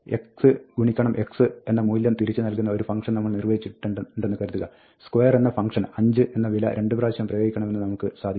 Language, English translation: Malayalam, Supposing, we have defined a function square of x, which just returns x times x; and now we can say, apply square to the value 5 twice